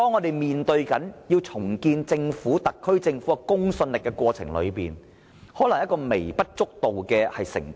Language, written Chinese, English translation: Cantonese, 然而，為了重建特區政府的公信力，重複作供可能只是微不足道的成本。, However in order to restore the credibility of the SAR Government the cost of testifying repeatedly is probably negligible